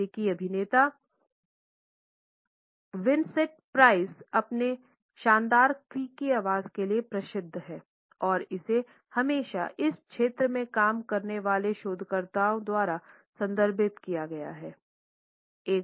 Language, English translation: Hindi, The American actor Vincent Price is famous for his excellent creaky voice in menacing moments and it has always been referred to by researchers working in this area